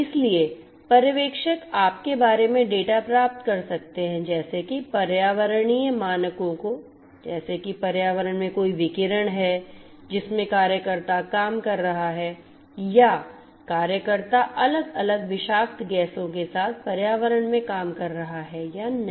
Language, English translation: Hindi, So, the supervisors can get data about you know the environmental parameters such as whether there is any radiation in the environment in which the worker is working or whether the worker is working in an environment a with different toxic gases